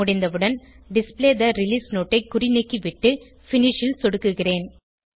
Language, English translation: Tamil, Once done, uncheck the Display Release Note checkbox and then click on Finish